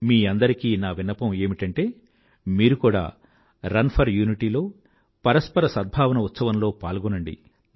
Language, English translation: Telugu, I urge you to participate in Run for Unity, the festival of mutual harmony